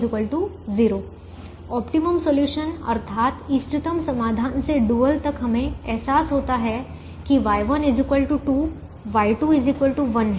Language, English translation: Hindi, from the optimum solution to the dual we realize that y one equal to two, y two equal to one